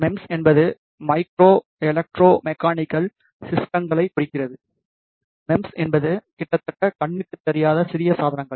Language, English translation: Tamil, MEMS stands for Micro Electro Mechanical Systems; MEMS are the tiny devices nearly invisible to human eyes